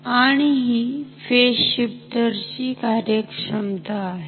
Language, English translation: Marathi, So, this is how our phase shifter works